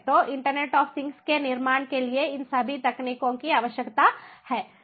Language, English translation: Hindi, so all of these technologies are required to build internet of things